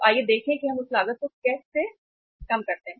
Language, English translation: Hindi, So let us see how we work that cost